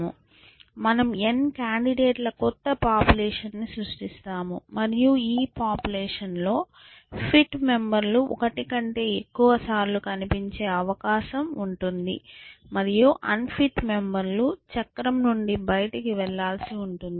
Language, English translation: Telugu, So, we will create a new population of n candidates and you can see that this population, the fit members will have a greater chance of appearing more than once, and unfit members may get the wheeled out essentially